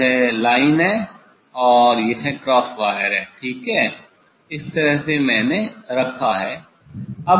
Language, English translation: Hindi, This is the line, and this is the cross wire ok, this way I have put